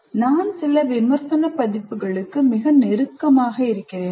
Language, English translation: Tamil, Am I too close to some critical parameter